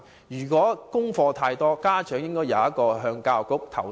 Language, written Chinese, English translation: Cantonese, 如果家課太多，家長應該有機制向教育局作出投訴。, If the homework load is excessive a mechanism should be put in place to enable parents to lodge complaints with the Education Bureau